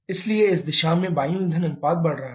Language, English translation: Hindi, So, in this direction, air fuel ratio is increasing